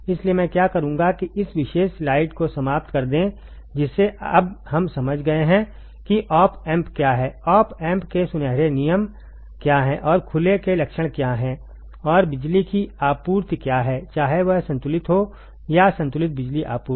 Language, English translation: Hindi, So, what I will do is let us finish this particular module at this particular slide which we understood now that what is op amp right, what are the golden rules of the op amp, and what are the characteristics of open, and what are the power supply whether it is unbalanced or balanced power supply right